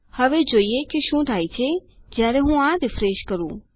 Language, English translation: Gujarati, Now watch what happens if I refresh this